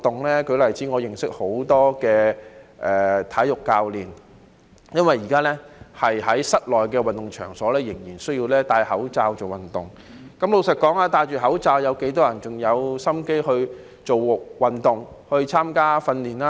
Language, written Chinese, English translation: Cantonese, 我舉個例子，我認識很多體育教練，因為現時在室內運動場仍然需要佩戴口罩做運動，但老實說，有多少人佩戴口罩後還有心情做運動、參加訓練呢？, Let me cite an example . I know many sports coaches . As people still need to wear masks when playing sports in indoor sports centres―but honestly I wonder how many of them having to wear masks are still in the mood to play sports and take part in training―the business of many coaches has declined drastically so has the subscription of monthly fitness passes